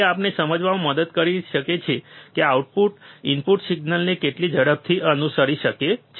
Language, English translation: Gujarati, It can help us to understand, how fast the output can follow the input signal